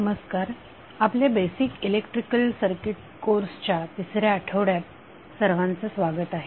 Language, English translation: Marathi, Namashkar, so welcome to the 3 rd week of our course on basic electrical circuits